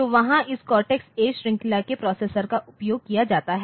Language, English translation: Hindi, So, there this cortex A series of processors are used